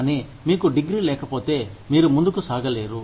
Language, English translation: Telugu, But, if you do not have the degree, you just cannot move on